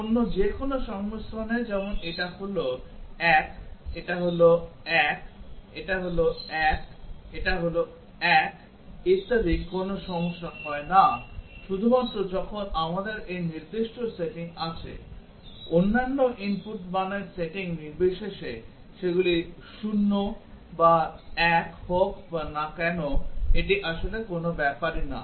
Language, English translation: Bengali, For any other combinations like this is 1, this is 1, this is 1, this 1 etcetera no problem occurs only when we have this specific setting, irrespective of the setting of the other inputs values whether they are 0 or 1 it really does not matter